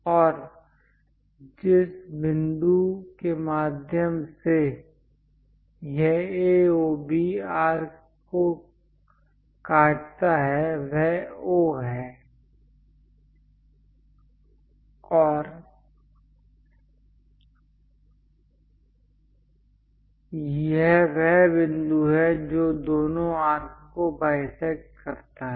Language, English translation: Hindi, And the point through which it cuts A, O, B arc is O, and this is the point which bisect both the arcs